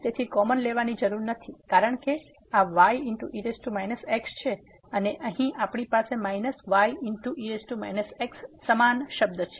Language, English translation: Gujarati, So, no need to take common because this is power minus and here we have minus power minus is the same term